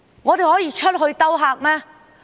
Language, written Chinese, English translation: Cantonese, 我們可以出去招客嗎？, Can we go out to attract visitors?